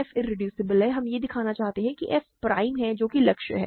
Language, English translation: Hindi, f is irreducible, we want to show that f is prime that is the goal